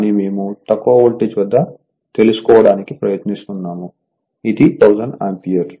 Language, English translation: Telugu, But , we are trying to find out at the low voltage side so, it is 1000 ampere right